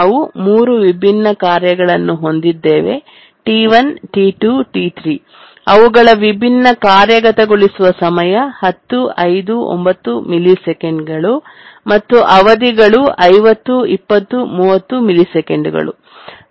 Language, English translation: Kannada, We have a task set of three tasks T1, T2, T3, and their execution times are 10, 25 and 50 milliseconds, periods are 50, 150, and 200